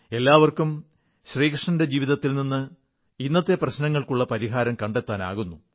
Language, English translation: Malayalam, Everyone can find solutions to present day problems from Shri Krishna's life